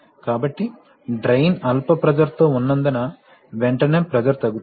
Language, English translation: Telugu, So since the drain is at a low pressure, immediately pressure will fall